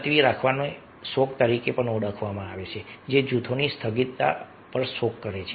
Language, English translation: Gujarati, adjourning may also be referred to as a mourning, that is, mourning the adjournment of the group